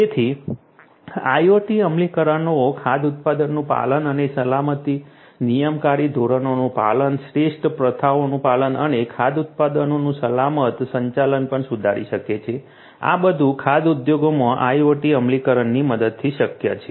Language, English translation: Gujarati, So, IoT implementations can also improve compliance and safety of the food product, compliance to regulatory standard, compliance to best practices and also safe handling of the food products, these are all possible with the help of IoT implementation in the food industry